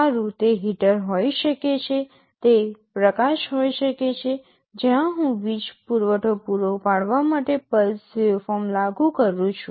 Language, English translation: Gujarati, Well, it can be a heater; it can be light, where I am applying a pulse waveform to provide with the power supply